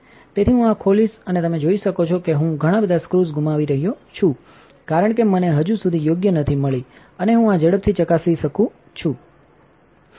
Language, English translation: Gujarati, So, I will open this up and as you can see I am missing quite a few screws because I have not got the right ones in yet and I just wanted to test this quickly